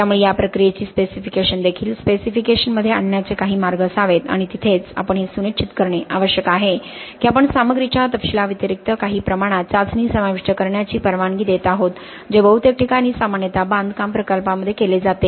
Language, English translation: Marathi, So there should be some ways of bringing in these processing characteristics also into the specifications and that is where we need to ensure that we are allowing for some degree of testing to be included apart from the specification of the materials which is quite commonly done in most construction projects